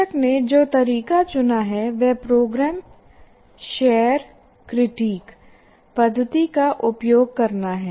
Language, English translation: Hindi, And the method that we have chosen, or the teacher has chosen, is use the program share critic method